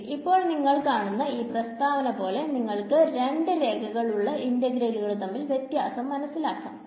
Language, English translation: Malayalam, Now as you can see the statement of the theorem shows you the difference between two line integrals